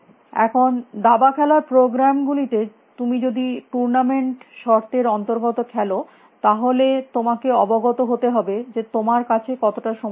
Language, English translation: Bengali, Now, in chess playing programs if you are playing under tournament conditions you have to be a aware of how much time you have essentially